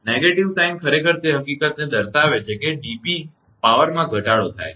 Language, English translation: Gujarati, The negative sign actually reflects the fact that the dp represent reduction in power right